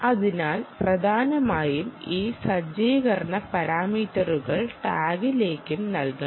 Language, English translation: Malayalam, so mainly these setup parameters have to be fed to the tag and the tag will have to first